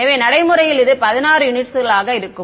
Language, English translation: Tamil, So, in practice it is going to be 16 units right